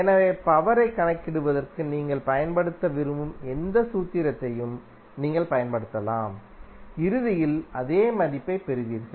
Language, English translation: Tamil, So, you can use any formula which you want to use for calculation of power, you will get the same value eventually